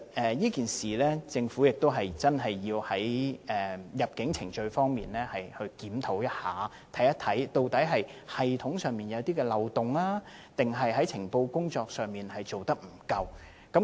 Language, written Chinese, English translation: Cantonese, 在這件事上，政府的確需要在入境程序方面進行檢討，看看究竟是系統上有漏洞，抑或情報工作做得不夠。, With regard to this incident the Government really needs to review its immigration procedures and check whether there are any loopholes in the system or inadequacies in its intelligence work